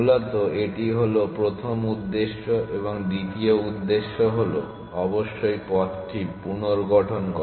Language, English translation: Bengali, Essentially, that is the first objective and the second objective would be of course to reconstruct the path